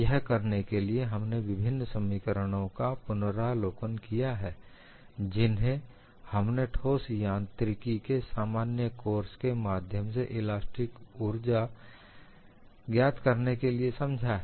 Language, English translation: Hindi, In order to do that, we have reviewed various expressions that we have learned in a general course and mechanics of solids to find out the elastic strain energy